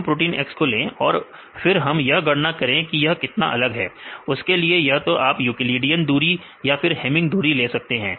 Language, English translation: Hindi, We take the protein X, then you can calculate the deviation right you can see either the Euclidean distance or you can do the hamming distance right